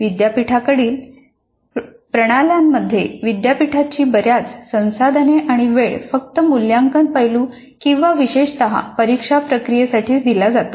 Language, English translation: Marathi, Even in the university systems, considerable resources and time of the university are devoted only to the assessment aspects or typically the examination processes